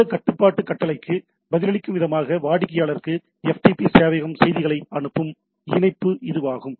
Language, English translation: Tamil, This is also connection across which FTP server will send messages to the client in response to this control command, etcetera